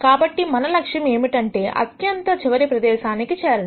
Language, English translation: Telugu, So, the aim is to reach the bottom most region